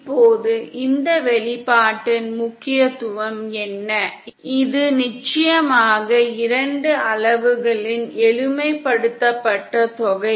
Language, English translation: Tamil, Now what is the significance of this expression, this is of course the simplified sum of two quantities